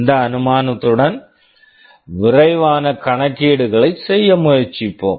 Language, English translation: Tamil, With this assumption let us try to make a quick calculation